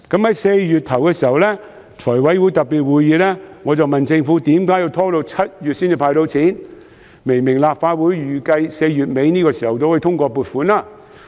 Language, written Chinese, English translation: Cantonese, 在4月初的財務委員會特別會議上，我問政府為何要拖到7月才接受"派錢"申請，明明立法會預計4月底左右通過撥款。, At the special meetings of the Finance Committee in early April I asked the Government why the application for cash handout would only be accepted in July considering that the funding application was expected to get through the Legislative Council by the end of April